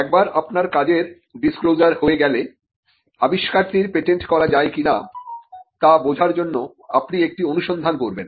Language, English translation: Bengali, Once you have a working disclosure, you do a search to understand whether the invention can be patented